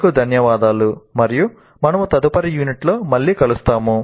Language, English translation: Telugu, Thank you and we'll meet again with the next unit